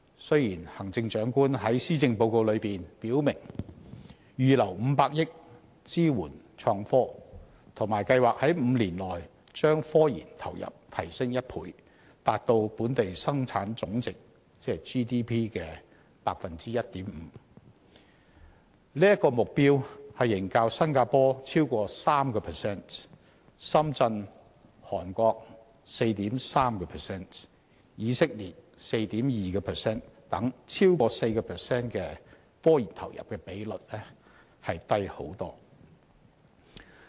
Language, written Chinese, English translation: Cantonese, 雖然行政長官在施政報告中表明預留500億元支援創科，以及計劃在5年內將科研投入提升1倍，達致本地生產總值的 1.5%， 但此目標仍遠低於新加坡的逾 3% 或深圳、韓國、以色列等地的逾 4% 的科研投入比率。, The Chief Executive proclaimed in her Policy Address to set aside 50 billion to support innovation and technology and the plan to double investments in innovation and technology―to 1.5 % as a percentage of Gross Domestic Product GDP―in 5 years . However that target is still far too low in comparison with Singapores over 3 % or the over 4 % as a share of GDP committed by Shenzhen South Korea 4.3 % and Israel 4.2 %